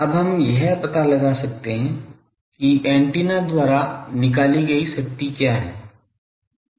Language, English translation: Hindi, Now, now we can find out what is the power radiated by antenna